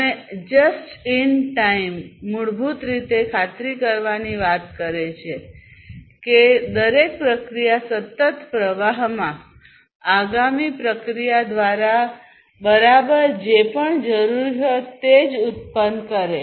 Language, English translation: Gujarati, And just in time basically talks about ensuring that each process produces whatever is exactly needed by the next process, in a continuous flow